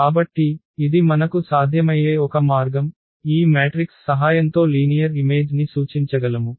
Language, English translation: Telugu, So, this is one way where we can, where we can represent a linear map with the help of this matrices